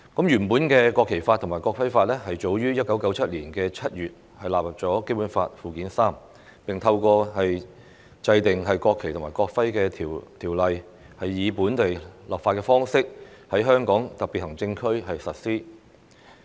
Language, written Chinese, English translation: Cantonese, 原本的《國旗法》和《國徽法》早於1997年7月納入《基本法》附件三，並透過制定《國旗及國徽條例》，以本地立法方式在香港特別行政區實施。, The original National Flag Law and National Emblem Law were listed in Annex III to the Basic Law as early as in July 1997 and were applied to Hong Kong SAR by way of local legislation through the enactment of the National Flag and National Emblem Ordinance